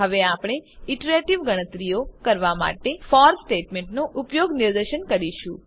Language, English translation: Gujarati, We will now demonstrate the use of the for statement to perform iterative calculations